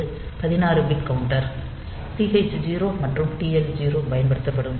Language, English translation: Tamil, So, it is 16 bit counter TH 0 and TL 0 will be used